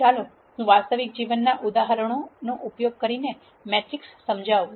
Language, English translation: Gujarati, Let me explain matrix using a real life example